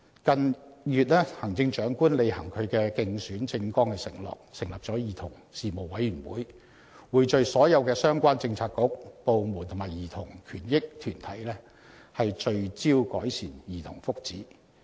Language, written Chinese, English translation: Cantonese, 近月行政長官履行其競選政綱作出的承諾，成立了兒童事務委員會，匯聚所有相關政策局、部門及兒童權益團體致力改善兒童福祉。, In recent months to honour the pledge made in the election manifesto the Chief Executive has set up the Commission on Children which pools efforts from all relevant Policy Bureaux departments and organizations for childrens rights for the purpose of improving the well - being of children